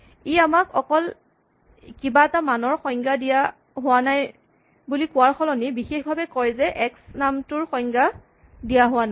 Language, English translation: Assamese, So, it is not enough to just tell us oh some value was not defined it tells us specifically the name x is not defined